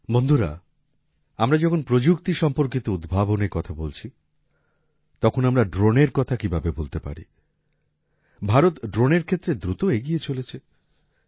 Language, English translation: Bengali, Friends, when we are talking about innovations related to technology, how can we forget drones